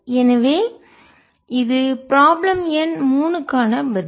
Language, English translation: Tamil, so this is the answer for problem number three